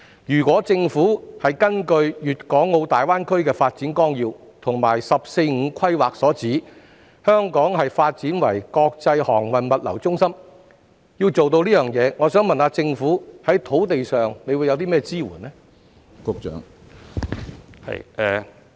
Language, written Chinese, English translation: Cantonese, 如果政府想達到《粵港澳大灣區發展規劃綱要》及國家"十四五"規劃提出將香港發展為國際航運物流中心的目標，請問政府在土地方面會提供甚麼支援呢？, If the Government wishes to achieve the goal of developing Hong Kong into an international maritime and logistics centre as proposed in the Outline Development Plan for the Guangdong - Hong Kong - Macao Greater Bay Area and also the countrys 14 Five - Year Plan may I ask what kind of support will be provided by the Government for land development?